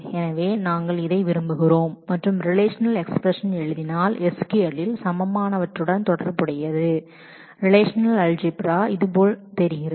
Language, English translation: Tamil, So, we want these and corresponding to the equivalent at SQL if we write the relational expression then the in relational algebra this is what it looks like